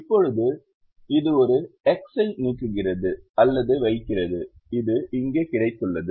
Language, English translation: Tamil, now that removes or puts an x in this position which we got here now